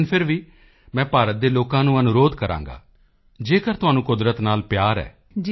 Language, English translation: Punjabi, But even then I will urge the people of India that if you love nature,